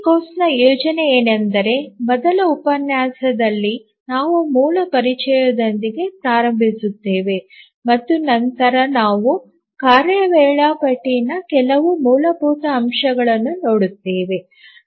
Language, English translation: Kannada, The plan of this course is that this first lecture we will start with some very basic introduction and then we will look some basics of task scheduling